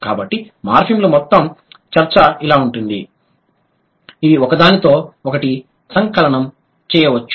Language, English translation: Telugu, So, that is how the entire discussion of morphins can be, can be sort of compiled together